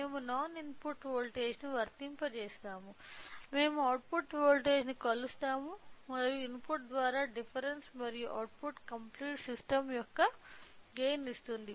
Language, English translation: Telugu, We will be applying a non input voltage, we will measure the output voltage and the difference and output by input gives the gain of the complete system